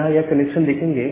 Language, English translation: Hindi, So, here you will see that this connections